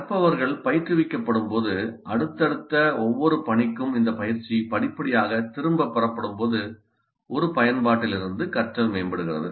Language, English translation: Tamil, Learning from an application is enhanced when learners are coached and when this coaching is gradually withdrawn for each subsequent task